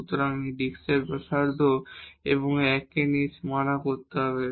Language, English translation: Bengali, So, this disk of this radius one and including this 1 so, we have the boundaries there